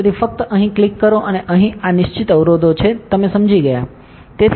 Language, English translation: Gujarati, So, just click here and here, these are the fixed constraints; you understood, right